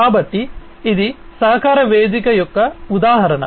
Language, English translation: Telugu, So, this is an example of a collaboration platform